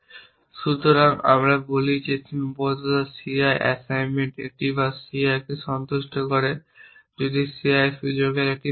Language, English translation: Bengali, So, we say that constraint ci assignment a bar satisfies ci if the scope of the ci is has a value which means it is already in the assignment